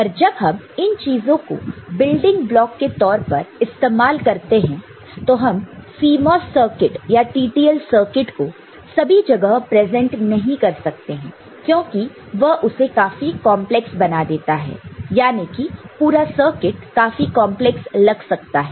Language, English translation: Hindi, But, when we use these as a building block we shall not present either CMOS circuit or TTL circuit everywhere, because that will make it very, very complex, I mean, the whole circuit will look very complex